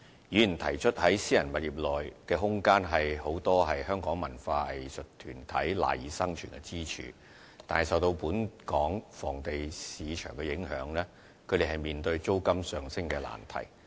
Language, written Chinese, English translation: Cantonese, 議員提出，在私人物業內的空間，是許多香港文化藝術團體賴以生存的支柱，但是，受到本港房地產市場的影響，他們面對租金上升的難題。, Members made the point that the room available in private properties has become a pillar of support for the survival of many local cultural and arts groups but since the rental levels of private properties are subject to the impacts of Hong Kongs real estate market these groups are faced by the problem of rental hikes